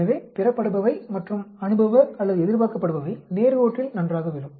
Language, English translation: Tamil, So, the observed and the empirical or expected will fall nicely on the straight line